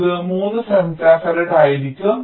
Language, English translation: Malayalam, so this will also be three femto farad